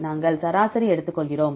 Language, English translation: Tamil, We take the average right